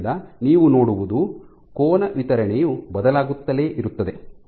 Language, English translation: Kannada, So, what you will see is the angle distribution will keep on changing like